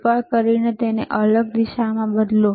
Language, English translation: Gujarati, cChange it in a different direction please,